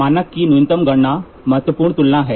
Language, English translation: Hindi, The least count of the standard is important comparison